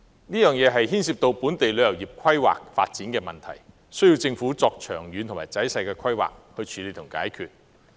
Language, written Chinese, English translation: Cantonese, 這牽涉本地旅遊業規劃發展的問題，需要政府作長遠及仔細的規劃來處理和解決。, The problem which concerns planning and development of the local tourism industry requires long - term and detailed planning on the part of the Government for solution